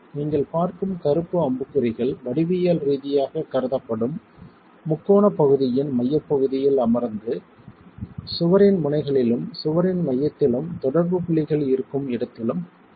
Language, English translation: Tamil, The black arrow marks that you see are the resultants sitting at the centroid of the triangular area that is being considered geometrically being considered at the ends of the wall and at the center of the wall where the contact points are